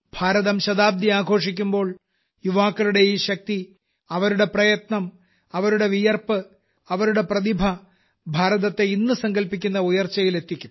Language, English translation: Malayalam, When India celebrates her centenary, this power of youth, their hard work, their sweat, their talent, will take India to the heights that the country is resolving today